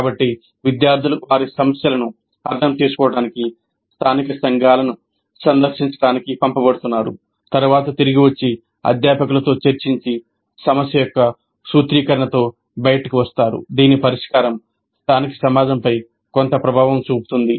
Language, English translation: Telugu, So the students are being sent to visit the local communities to understand their problems, then come back and discuss with the faculty and come out with a formulation of a problem whose solution would have some bearing on the local community